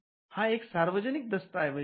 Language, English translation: Marathi, This is a public document